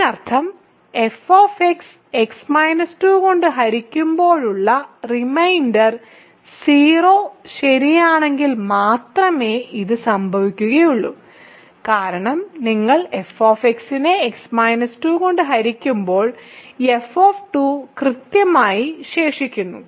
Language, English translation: Malayalam, That means, this happens if and only if the reminder upon division of f x by x minus 2 is 0 right, because f 2 is precisely the remainder when you divide f x by x minus 2